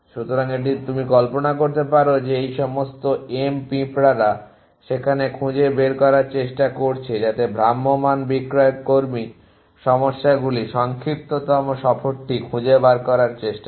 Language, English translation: Bengali, So, you can imagine that all these M ants are there trying to find so all that travelling salesmen problem try to fine the shortest tour